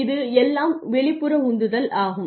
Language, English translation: Tamil, This is after all external motivation